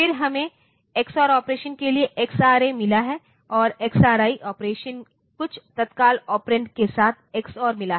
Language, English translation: Hindi, Then we have got XRA for the xor operation and XRI for again xor operation with some immediate operand